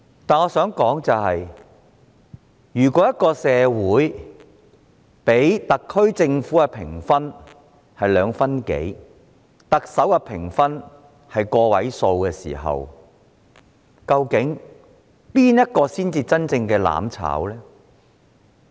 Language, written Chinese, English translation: Cantonese, 但是，我想指出如社會人士給予特區政府的評分只得2分左右，給予特首的評分亦只屬個位數，究竟誰才真正在"攬炒"呢？, However I would like to point out that if a score of only around 2.0 is given to the SAR Government by the general public and the score given to the Chief Executive has also fallen to a single digit who is actually the one seeking mutual destruction?